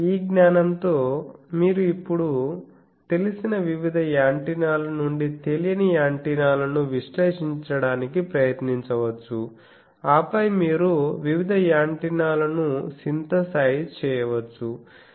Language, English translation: Telugu, So, I think with that you should be confident that with this knowledge, you can now try to have analyzed various antennas known antennas unknown antennas then and then also you can synthesize various antennas